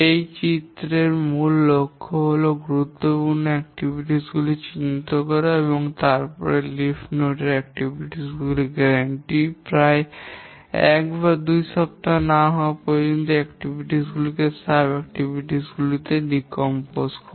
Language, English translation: Bengali, The main objective of this diagram is to identify the important activities and then decomposition of these activities into sub activities till the granularity of the leaf level activities is about a weaker too